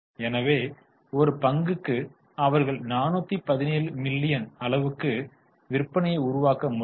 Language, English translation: Tamil, So, for one share they are able to generate 417 millions million sales